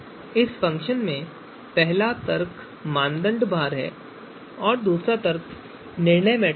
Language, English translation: Hindi, So in the calculate AHP, first argument is the criteria weights, second argument is the values, this is decision matrix